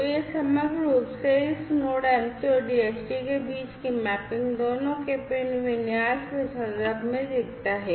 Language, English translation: Hindi, So, this is this overall this is how this mapping between this Node MCU and DHT looks like in terms of the pin configurations in both